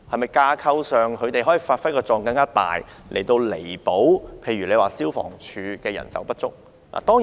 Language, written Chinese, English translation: Cantonese, 在架構上，他們是否可以發揮更大的作用，以彌補例如消防處的人手不足？, In terms of the organizational structure can they play a greater role to make up for say the manpower shortage of the Fire Services Department FSD?